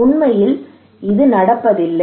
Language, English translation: Tamil, But actually it is not happening